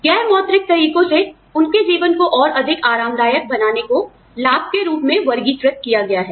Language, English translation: Hindi, The non monetary methods of making their lives, more comfortable, are classified as benefit